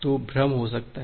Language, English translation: Hindi, So, there can be a confusion